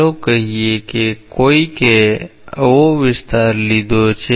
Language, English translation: Gujarati, Let us say that somebody has taken an area like this